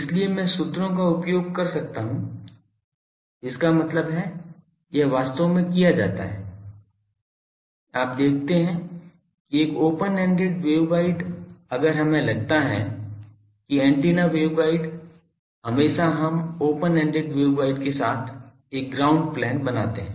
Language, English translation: Hindi, So, I can use the formulas so; that means, this is done actually you see that an open ended waveguide, if we think that the waveguide the antenna always we make a ground plane along the open ended waveguide